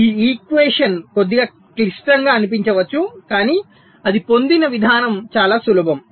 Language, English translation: Telugu, see, this equation may look a little complex, but the way they have been obtained are pretty simple